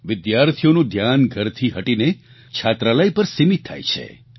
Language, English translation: Gujarati, The attention of students steers from home to hostel